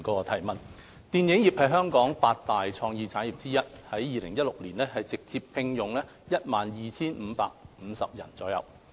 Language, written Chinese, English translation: Cantonese, 電影業是香港的八大創意產業之一，在2016年直接聘用約 12,550 人。, The film industry is among the eight major creative industries in Hong Kong with direct employment of about 12 550 in 2016